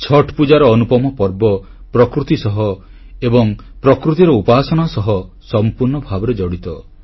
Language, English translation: Odia, The unique festival Chhath Pooja is deeply linked with nature & worshiping nature